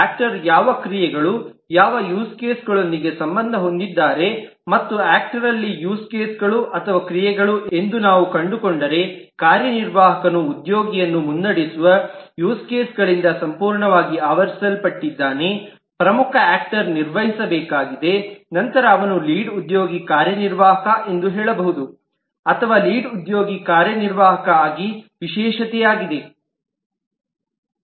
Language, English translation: Kannada, and if we find that the use cases or actions for an actor, say an executive, is completely covered by the use cases that lead employee, the lead actor, has to perform, then he can say that lead is an executive or lead is a specialization of the executive